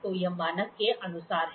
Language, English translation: Hindi, So, this is as per the standard